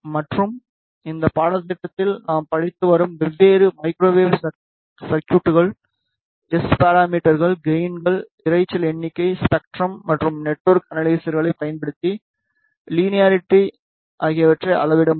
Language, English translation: Tamil, And for different microwave circuits that we have been studying in this course we can measure the S parameters, the gains, the noise figure, the linearity using spectrum and network analyzes